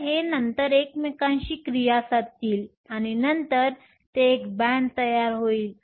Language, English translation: Marathi, So, these will then interact with each other, and then they will give you a band